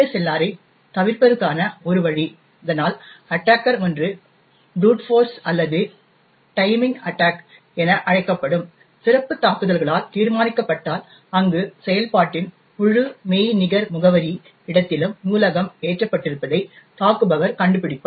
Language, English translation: Tamil, One way of bypassing ASLR is if the attacker determines either by brute force or by special attacks known as timing attacks, where the attacker finds out where in the entire virtual address space of the process is the library actually loaded